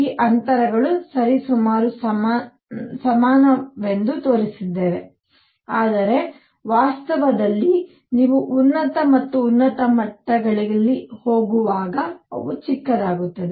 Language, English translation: Kannada, These distances I have shown to be roughly equal, but in reality as you go to higher and higher levels, they become smaller